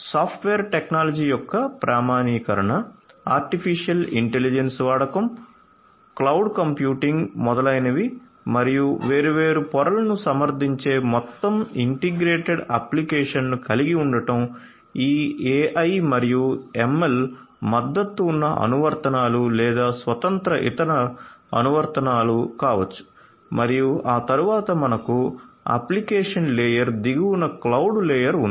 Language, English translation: Telugu, Standardization of software technology use of artificial intelligence, cloud computing, etcetera and to have overall integrated application supporting different layers at the very top would be these AI and ML supported applications or maybe standalone other applications as well and thereafter we have the cloud layer at the bottom of the application layer